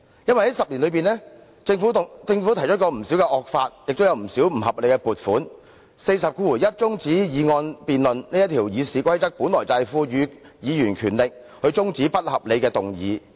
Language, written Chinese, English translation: Cantonese, 在這10年內，政府曾提出不少惡法和不合理的撥款，《議事規則》第401條賦予議員權力中止不合理的議案。, During the past 10 years the Government tabled many draconian bills and unreasonable funding proposals but despite the power conferred on Members by RoP 401 to abort any unreasonable motion Mr WONG Kwok - kin never invoked RoP 401 in the face of those draconian bills